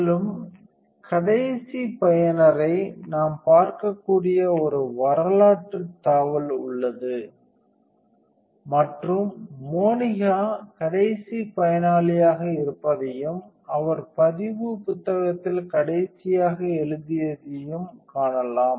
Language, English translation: Tamil, Also there is a history tab where we can see the last user and you can see that Monica was last user and she was the last one to write in logbook